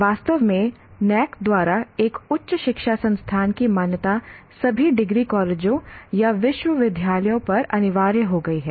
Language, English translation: Hindi, In fact, the accreditation of a higher education institution by NAC has become compulsory for all degree colleges or universities and so on